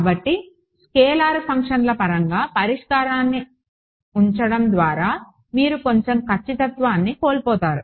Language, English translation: Telugu, So, by putting the solution in terms of scalar functions you lose a little bit of accuracy ok